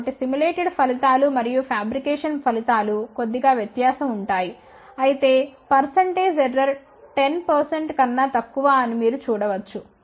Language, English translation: Telugu, However, there is a small error in the fabrication so simulated results and fabricated results are slightly off , however as you can see that the percentage error is less than 10 percent